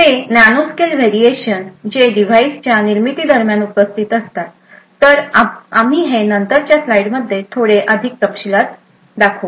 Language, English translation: Marathi, They are based on nanoscale variations in which are present during the manufacturing of the device, So, we will see this in little more details in our later slide